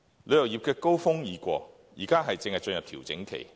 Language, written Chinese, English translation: Cantonese, 旅遊業的高峰期已過，現正進入調整期。, The tourism industry has past its prime and now enters a period of consolidation